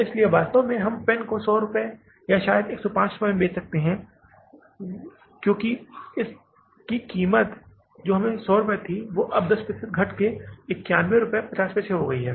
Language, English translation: Hindi, So, actually we were selling the pen for 100 rupees or maybe 105 rupees because it was costing us 100 rupees and now if you are able to reduce it by say 10 percent and now the cost has come down to 91